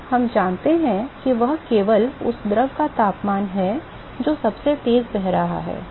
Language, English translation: Hindi, So, what we know is only the temperature of the fluid which is flowing fastest